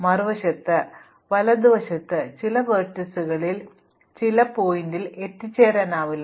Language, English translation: Malayalam, On the other hand, on the right hand side some vertices cannot be reached from other vertices